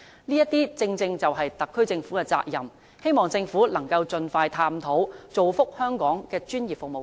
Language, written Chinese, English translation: Cantonese, 這些正正是特區政府的責任，希望政府能夠盡快探討，造福香港的專業服務界。, This is the responsibility of the SAR Government . I hope the Government can expeditiously explore this issue so that professional sectors in Hong Kong can benefit from its efforts